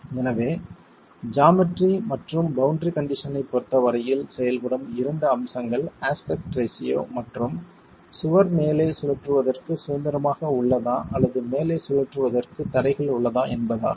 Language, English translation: Tamil, So, two aspects that will come into play as far as the geometry and boundary condition are the aspect ratio and whether the wall is free to rotate at the top or are there restraints to rotation at the top